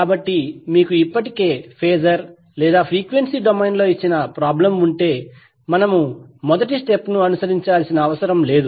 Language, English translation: Telugu, So that means if you already have the problem given in phasor or frequency domain, we need not to follow the first step